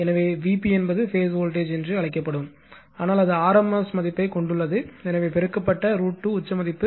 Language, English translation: Tamil, So, V p is the your what you call that is the phase voltage, but it rms value, so multiplied by root 2 is peak value